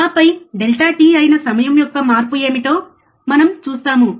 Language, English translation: Telugu, And then we see this what is the change in time that is delta t